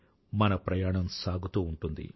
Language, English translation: Telugu, But our journey shall continue